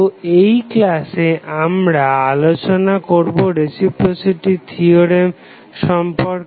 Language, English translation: Bengali, So, in this lecture we will explain what do you mean by reciprocity theorem